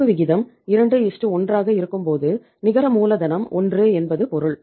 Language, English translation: Tamil, When we are having a current ratio of 2:1 it means net working capital is how much that is 1